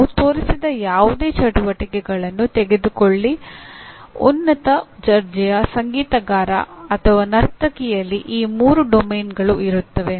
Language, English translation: Kannada, Take any of those activities that we have shown like a top class musician or a dancer will have all the three domains